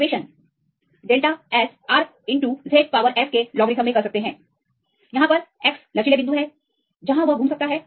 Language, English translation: Hindi, Or you can use this equation delta S, R into logarithm of Z power x; where x is a number of flexible points, where we can rotate